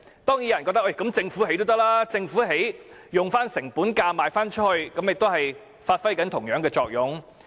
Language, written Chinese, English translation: Cantonese, 當然有人覺得政府建屋，以成本價發售，也能發揮同樣作用。, Some hold the view that the same effect will be attained if the Government builds homes and sells them at cost